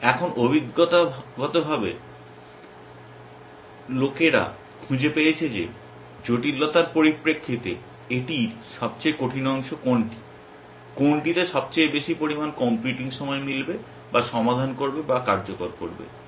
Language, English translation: Bengali, Now, empirically people have found which is the hardest part of this, in terms of complexity, which one will take the most amount of computing time match or resolve or execute